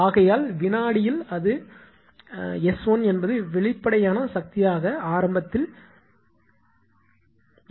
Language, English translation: Tamil, So, that is why in the second it is S 1 is the apparent power initially that arise